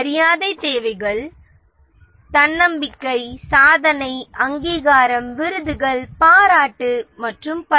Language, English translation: Tamil, The esteem needs are self confidence, achievement, recognition, awards, appreciation and so on